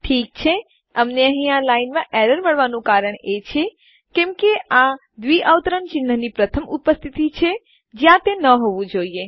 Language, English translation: Gujarati, Okay so the reason that we are getting an error in this line is because this is the first occurrence of a double quotes where it shouldnt be